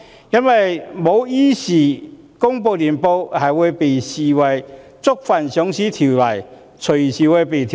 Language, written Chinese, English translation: Cantonese, 因為公司如果不依時公布年報，會被視為觸犯《上市規則》，隨時會被停牌。, If the companies cannot publish their annual reports in time they will be regarded as having breached the Listing Rules and their licences can be suspended at any time